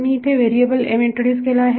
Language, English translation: Marathi, I have introduced a variable m